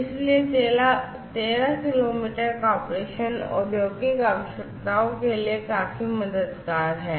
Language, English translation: Hindi, So, 13 kilometres of operation is quite helpful, you know, quite it is quite sufficient for industrial requirements